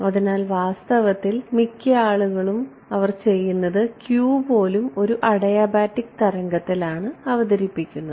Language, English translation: Malayalam, So, actually many people what they do is even q is may is introduced in a adiabatic wave